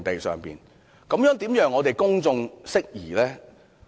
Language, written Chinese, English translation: Cantonese, 這樣怎能夠令公眾釋疑呢？, As such how can the doubts of the public be dispelled?